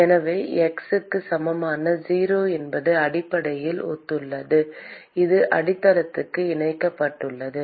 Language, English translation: Tamil, So, note that the x equal to 0 basically corresponds to the it is attached to the base